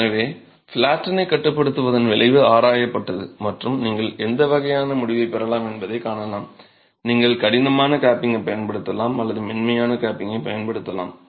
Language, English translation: Tamil, So, this effect of confining platin has been examined and you can see the kind of conclusion that has been drawn, you can either use a hard capping or you can use a soft capping